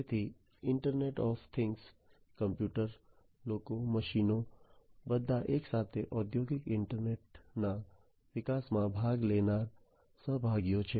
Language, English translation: Gujarati, So, internet of things computers, people, machines all together are different participate participants in the development of the industrial internet